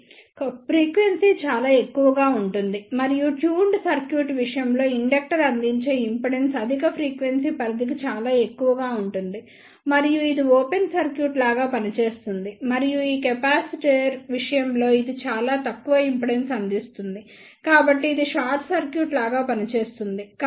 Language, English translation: Telugu, So, the frequency will be very high and we know in case of tuned circuit the impedance offered by the inductor will be very high for the high frequency range and it will act like a open circuit and in case of capacitor it will provide very low impedance, so it will act like a short circuit